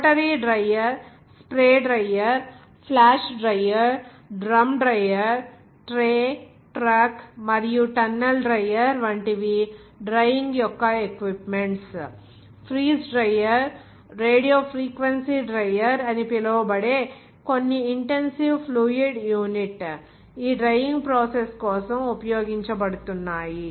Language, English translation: Telugu, And equipment of the drying like a rotary dryer, spray dryer, flash dryer, drum dryer, tray, truck and tunnel dryer, even some other intensive fluid unit like it’s called freeze dryer, radiofrequency dryer are being used for this drying process